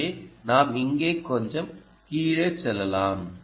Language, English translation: Tamil, ok, so let me just go a little low, low, low here